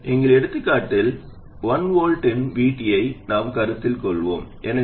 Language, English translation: Tamil, In our examples, we have been considering VT of 1 volt, so VG minus 1 volt